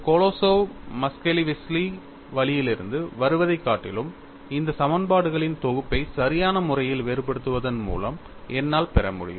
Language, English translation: Tamil, Rather than coming from Kolosov Muskhelishvili root, I could also get these set of equations by directly differentiating them appropriately